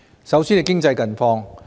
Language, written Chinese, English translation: Cantonese, 首先是經濟近況。, Let me start with the latest economic situation